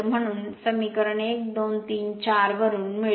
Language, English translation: Marathi, Therefore, from equation 1, 2, 3, 4 right